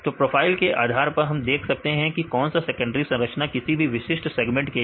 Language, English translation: Hindi, Based on the profiles we can see which secondary structures right in any particular segment